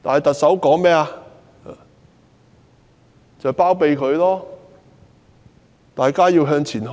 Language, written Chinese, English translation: Cantonese, 特首包庇她，呼籲大家向前看。, The Chief Executive harboured her and urged people to look ahead